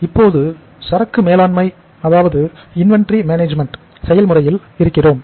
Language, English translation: Tamil, So we are in the process of inventory management